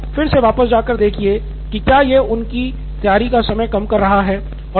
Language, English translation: Hindi, So again going back, do you see that this is reducing their time for preparation